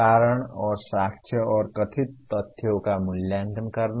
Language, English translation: Hindi, Giving reasons and evaluating evidence and alleged facts